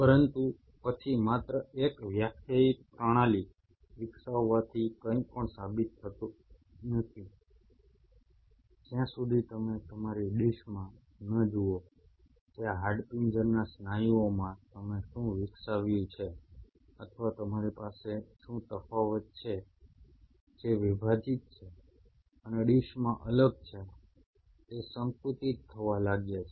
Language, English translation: Gujarati, But then just by developing a defined system does not prove anything till you see in your dish that these skeletal muscle what have what you have developed or what you have differentiated divided and differentiated in a dish started to contract if they do not contract then you have failed in your duty